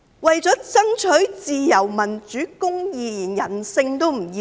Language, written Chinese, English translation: Cantonese, 為了爭取自由、民主、公義，連人性也不要。, To strive for freedom democracy and justice they would even discard humanity